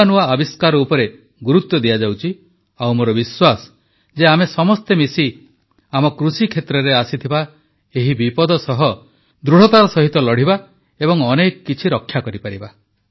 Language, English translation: Odia, And attention is being paid to new inventions, and I am sure that together not only will we be able to battle out this crisis that is looming on our agricultural sector, but also manage to salvage our crops